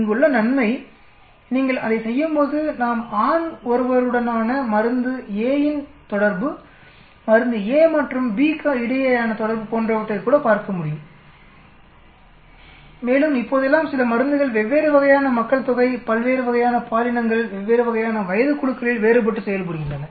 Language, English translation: Tamil, Advantage here, when you do that we can even look at interactions between drug a with male, interaction with drug a with b, and it is well known nowadays some drug work very differently on different types of population, different types of genders, different types of age groups